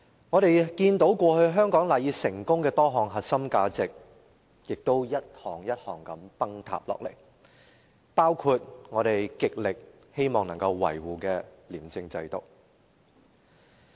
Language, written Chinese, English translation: Cantonese, 我們看到過去香港賴以成功的多項核心價值亦逐一崩塌，包括我們極力希望維護的廉政制度。, Many cores values to which Hong Kong owes its success have disintegrated one by one including the anti - corruption system which we want very much to safeguard